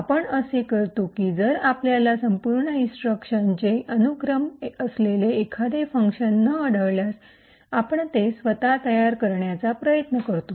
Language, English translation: Marathi, What we do is that if we cannot find specific function which has this entire sequence of instructions, we try to build it ourselves